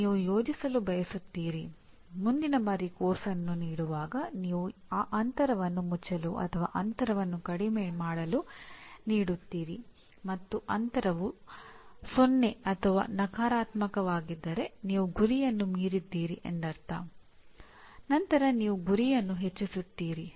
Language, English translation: Kannada, You want to plan next time you offer the course to close the gap or reduce the gap and if the gap is 0 or negative that means you have exceeded the target then you raise the target